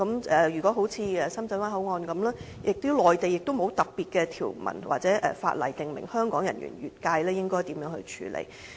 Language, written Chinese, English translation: Cantonese, 正如深圳灣口岸，內地亦沒有特別的條文或法例訂明香港人員越界應該如何處理。, Just like the Shenzhen Bay Port the Mainland did not make an additional provision stipulating how it should be handled if Hong Kong officers cross the border